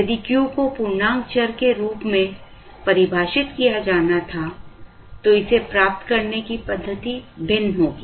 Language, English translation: Hindi, If Q were to be defined as an integer variable then the methodology to get it would be different